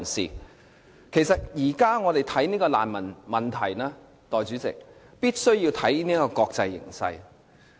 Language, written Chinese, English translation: Cantonese, 代理主席，我們現時看難民問題，必須看國際形勢。, Deputy President we must look at the international situation when we consider the refugee problem